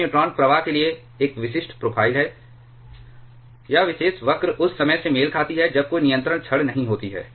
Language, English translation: Hindi, This is a typical profile for neutron flux, the this particular curve corresponds to when there are no control rods